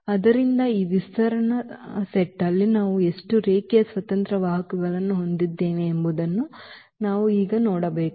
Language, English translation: Kannada, So, we have to see now how many linearly independent vectors we have in this spanning set